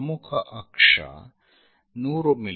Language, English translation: Kannada, Major axis 100 mm